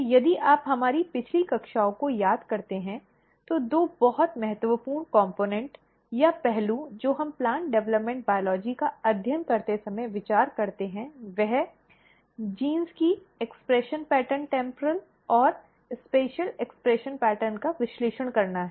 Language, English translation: Hindi, So, if you can recall our previous classes; so, two very important component or aspect which we consider while studying plant developmental biology is analyzing the expression pattern temporal and spatial expression pattern of the genes